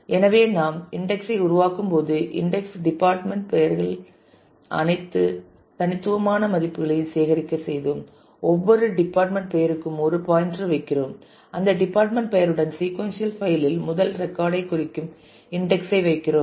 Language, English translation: Tamil, So, when we make the index we made the index collect all the distinct values of the department names and for every department name we put a pointer we put the index marking the first record in the sequential file with that department name